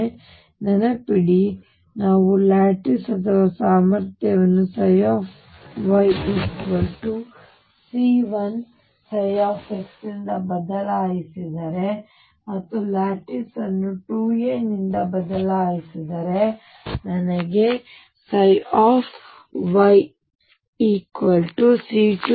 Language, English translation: Kannada, So, remember now if we shift the lattice or the potential by a I get psi y equals c 1 psi x and if we shift the lattice by 2 a I get psi y equals c 2 psi x